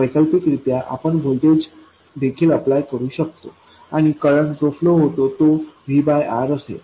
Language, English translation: Marathi, Alternatively you could also apply a voltage and the current that flows will be equal to V by r